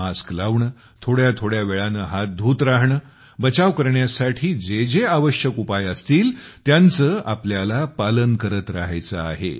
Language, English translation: Marathi, Wearing a mask, washing hands at regular intervals, whatever are the necessary measures for prevention, keep following them